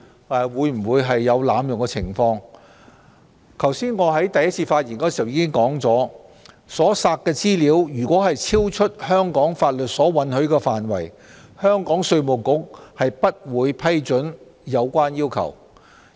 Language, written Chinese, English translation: Cantonese, 我在剛才就此兩項決議案作出的開場發言時已提到，所索取的資料如超出香港法律允許的範圍，香港稅務局不會批准有關要求。, As stated in my opening speech on these two resolutions if the information requested is beyond the permitted use under the laws of Hong Kong IRD of Hong Kong will not approve such requests